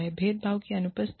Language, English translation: Hindi, Absence of discrimination